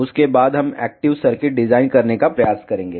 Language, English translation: Hindi, After that we will try to design active circuits